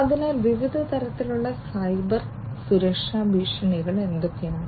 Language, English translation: Malayalam, So, what are the different types of Cybersecurity threats